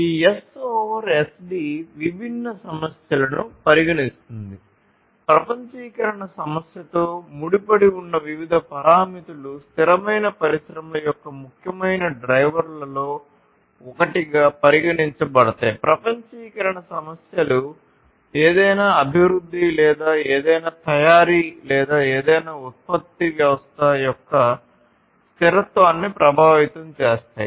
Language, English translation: Telugu, So, this S over SD considers different issues, different parameters some of these parameters are linked to the issue of globalization, which is basically considered as one of the important drivers of sustainable industries, globalization issues affect the sustainability of any development or any manufacturing or any production system